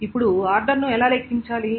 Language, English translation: Telugu, So, now how to calculate the order